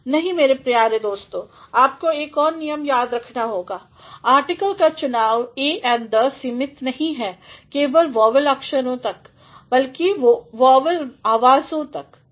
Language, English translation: Hindi, No, my dear friends, you must also remember another rule the choice of article a, an, the is not confined only to vowel letter, but to vowel sounds